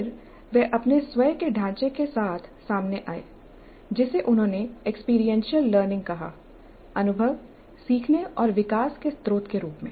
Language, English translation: Hindi, Then came out with his own framework which he called as experiential learning, experience as the source of learning and development